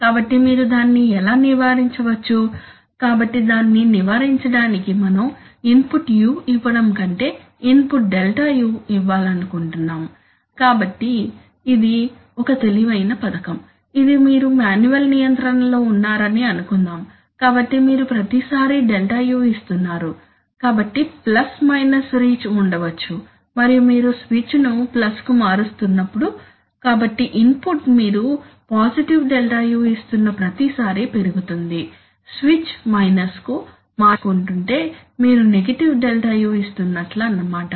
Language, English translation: Telugu, So you see that, this is a clever scheme which avoids that process, so you, suppose you are in manual control, so you are every time, you are actually giving ΔU, so you are maybe there is a plus minus reach and you are flicking the switch to plus so the input is going up every time you are giving positive ΔU if the flicking the switch to minus you are giving the negative ΔU